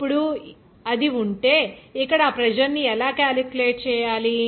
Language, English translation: Telugu, Now, if it is there, then how to calculate that pressure here